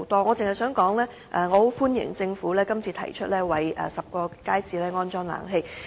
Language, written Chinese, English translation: Cantonese, 我只想說句，我歡迎政府這次提出為10個街市安裝冷氣。, I only wish to say that I welcome the Governments proposal this time around for installing air - conditioning facilities in 10 public markets